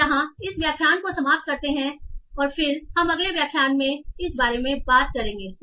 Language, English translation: Hindi, So yeah that's for this lecture and then yeah we will talk about this in the next lecture